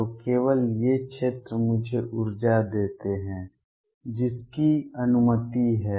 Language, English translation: Hindi, So, only these regions give me energy that is allowed